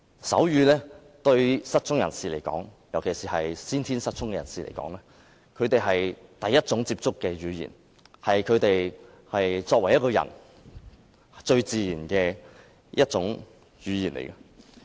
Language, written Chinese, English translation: Cantonese, 手語是失聰人士尤其是先天失聰的人士最先接觸的語言，也是他們最自然的一種語言。, Sign language is the first language that the deaf learn and it is also the most natural language to them